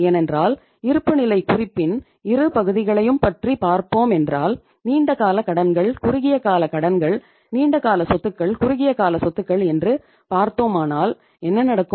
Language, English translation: Tamil, Because if you are going to talk about both the components of balance sheet that is the long term liabilities, short term liabilities, long term assets, short term assets in that case what is going to happen